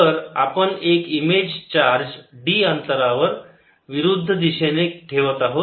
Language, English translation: Marathi, so we are placing an image charge q one at a distance d on the opposite side